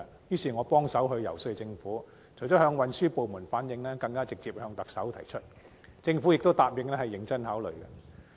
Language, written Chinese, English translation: Cantonese, 於是，我協助遊說政府，除了向運輸部門反映，更曾直接向特首提出這項建議，政府亦答應會認真考慮。, Consequently I helped lobby the Government . Besides relaying the proposal to the transport authorities I also raised it directly to the Chief Executive . The Government hence agreed to give due consideration